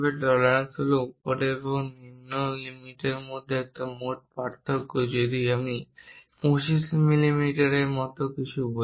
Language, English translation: Bengali, The tolerance is a total variation between upper and lower limits, if I am saying something like 25 mm